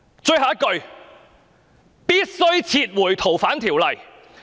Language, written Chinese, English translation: Cantonese, "最後一句：必須撤回《逃犯條例》。, Lastly the proposed legislative amendments to the Fugitive Offenders Ordinance should be withdrawn